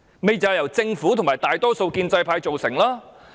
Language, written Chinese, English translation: Cantonese, 正正就是由政府和大多數建制派所育成。, Link REIT is nurtured by the Government and the majority pro - establishment camp